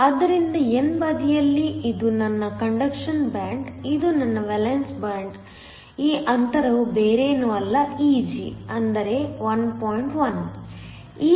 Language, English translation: Kannada, So, on the n side this is my conduction band, this is my valence band, this gap is nothing but Eg which is 1